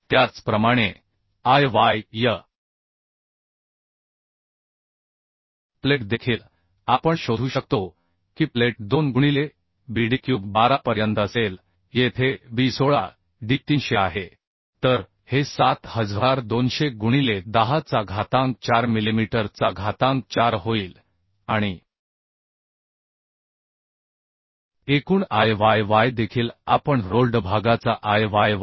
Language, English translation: Marathi, 79 millimetre Similarly Iy of the plate also we can find out Iy of the plate will be 2 into bd cube by 12 here b is 16 d is 300 So this will become 7200 into 10 to the power 4 millimetre to the 4 and total Iyy also we can find out Iy of the rolled section plus Iy of the plate so Iy of the built up section will be 9211